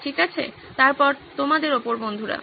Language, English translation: Bengali, Okay, over to you guys then